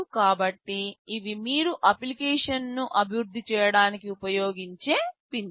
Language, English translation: Telugu, So, these are the pins that you will be using when you are developing an application